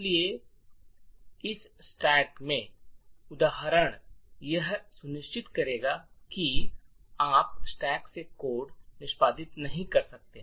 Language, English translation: Hindi, So, therefore the example in the stack this particular bit would ensure that you cannot execute code from the stack